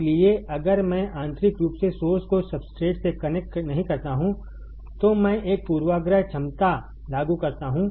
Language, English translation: Hindi, So, if I do not connect internally source to substrate, I do apply a bias potential